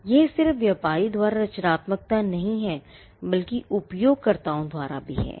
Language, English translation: Hindi, So, it is just not creativity by the trader, but it is also creativity that is perceived by the users